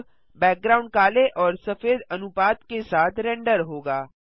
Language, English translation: Hindi, Now the background will be rendered with a black and white gradient